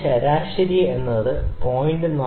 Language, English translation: Malayalam, So, I can take an average 0